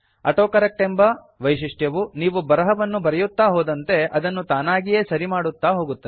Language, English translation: Kannada, AutoCorrect feature automatically corrects text as you write